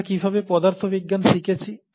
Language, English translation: Bengali, How did we learn physics